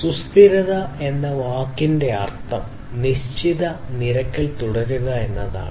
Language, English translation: Malayalam, So, the term sustainability means to continue at a fixed rate